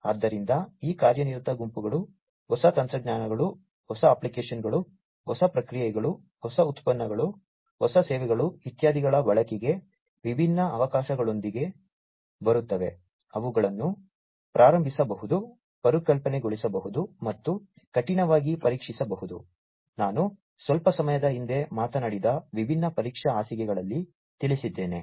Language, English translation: Kannada, So, these working groups do different things they innovate, they come up with different opportunities of the use of new technologies, new applications, new processes, new products, new services, etcetera, which could be initiated, conceptualized, and could be rigorously tested, in the different testbeds that I just talked about a while back